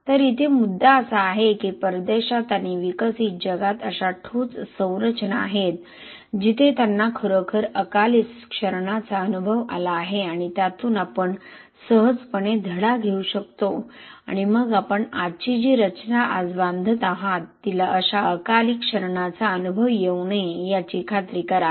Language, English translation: Marathi, So point here is there are concrete structures abroad and in developed world where they have actually experienced significant premature corrosion and we can easily learn the lesson from that and then make sure that today’s structure which you are building today do not experience such premature corrosion